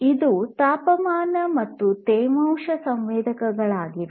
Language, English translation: Kannada, So, this is a temperature and humidity sensor